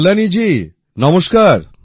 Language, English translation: Bengali, Kalyani ji, Namaste